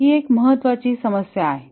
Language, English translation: Marathi, This is an important problem